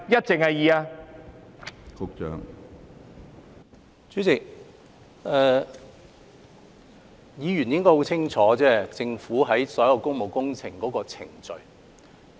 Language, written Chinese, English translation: Cantonese, 主席，議員應該很清楚政府有關所有工務工程的程序。, President Members should be aware of the procedure of the Government concerning all public works projects